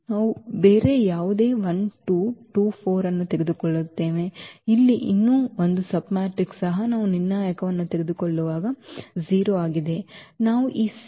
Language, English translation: Kannada, We take any other 1 2, 2 4, one more submatrix here also this is 0 when we take the determinant